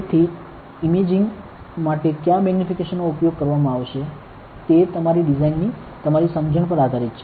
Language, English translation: Gujarati, So, what magnification will be used for imaging that depends on your understanding of your design, ok